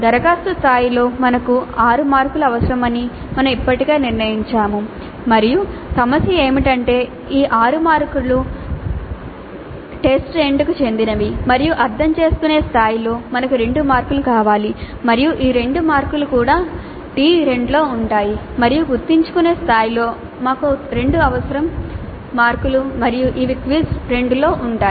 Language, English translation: Telugu, We already have decided that at apply level we need 6 marks and the decision is that these 6 marks would belong to T2 and at understandable we wanted 2 marks and these 2 marks also will be in T2 and at remember level we 2 we need 2 marks and these will be covered in FIS 2